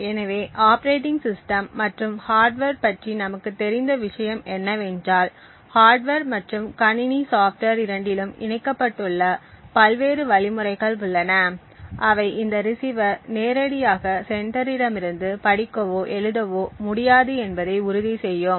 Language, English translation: Tamil, So what we do know about the operating system and the hardware is that there are various mechanisms which are incorporated in both the hardware and the system software that would ensure that this receiver would not directly be able to read or write data from the sender and vice versa